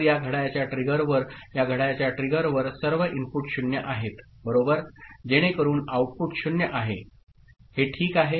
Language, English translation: Marathi, So, at this clock trigger, at this clock trigger all the inputs are 0 right so the outputs are 0 is it ok